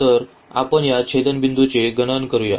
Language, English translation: Marathi, So, let us compute the point of this intersection